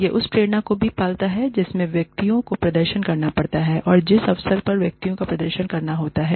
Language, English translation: Hindi, It also feeds into the motivation, that individuals have, to perform, and the opportunity, that individuals have, to perform